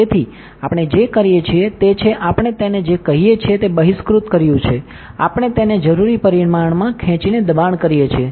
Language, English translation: Gujarati, So, what we do is, we extruded what we call it is we push it pull it up in the required dimension